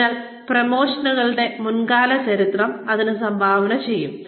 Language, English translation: Malayalam, So, prior history of promotions, will contribute to this